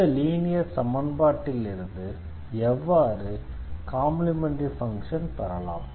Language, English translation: Tamil, So, how to get the general solution, how to get the complementary function of this a linear equation